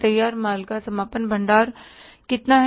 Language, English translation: Hindi, Closing stock of finished goods is how much